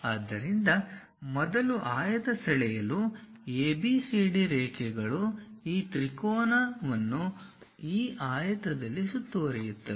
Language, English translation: Kannada, So, first for the rectangle draw ABCD lines enclose this triangle in this rectangle